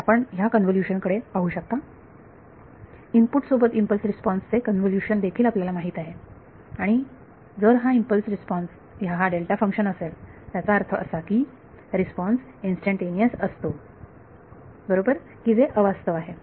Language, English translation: Marathi, So, you can look at this convolution has also you know the convolution of an impulse response with the input right and so if the impulse response is a delta function; that means, the response is instantaneous right which is unrealistic